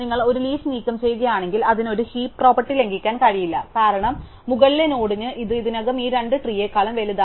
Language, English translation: Malayalam, If you remove a leaf then it cannot violate a heap property, because for the upper node it is already bigger than both this tree